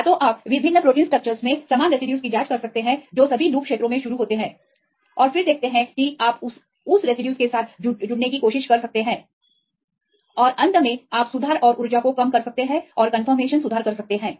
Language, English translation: Hindi, Either you can check the same residues in different protein structures which are all start up in the loop regions and then see you can try to connect with that residues and finally, you can make the corrections and energy minimization and to make the conformational changes